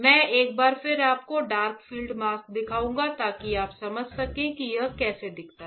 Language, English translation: Hindi, I will show it to you once again the dark field mask so, that you understand that how it looks like